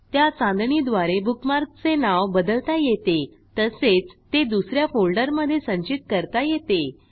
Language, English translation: Marathi, You can also use the star to change the name of a bookmark and store it in a different folder